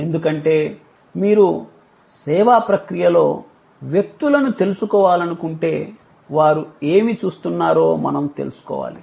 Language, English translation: Telugu, This is important because, if you want to know people in the service process, then we have to know, what they are looking for